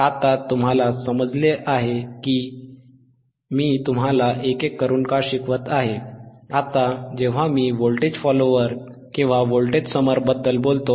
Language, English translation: Marathi, Now, you guys understand why I am teaching you one by one